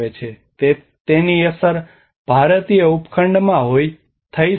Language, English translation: Gujarati, It may have impact in the Indian subcontinent